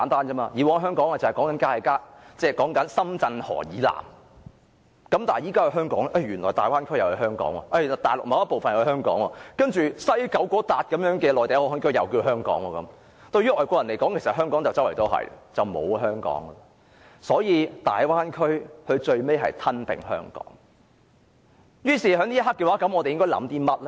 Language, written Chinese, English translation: Cantonese, 以往香港是指深圳河以南的地方，但現在原來大灣區也是香港，大陸某個部分也是香港，西九龍的內地口岸區也是香港，對於外國人而言，四處也可以是香港，那麼便等於不再有香港了。, In the past Hong Kong means the land to the south of Shenzhen River . But now Hong Kong can also mean the Bay Area or certain part of the Mainland or the Mainland Port Area of the West Kowloon Station . To foreigners anywhere can be Hong Kong